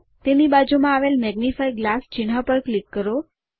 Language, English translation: Gujarati, Click the magnifying glass icon that is next to it